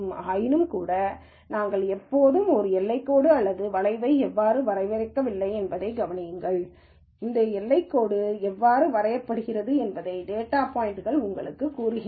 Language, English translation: Tamil, Nonetheless notice how we have never defined a boundary line or a curve here at all, the data points themselves tell you how this boundary is drawn